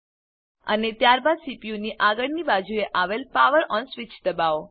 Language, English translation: Gujarati, And then press the POWER ON switch, on the front of the CPU